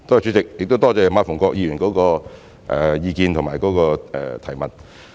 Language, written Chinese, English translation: Cantonese, 主席，多謝馬逢國議員的意見和補充質詢。, President I thank Mr MA Fung - kwok for his views and supplementary question